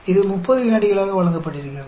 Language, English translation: Tamil, It is given as 30 seconds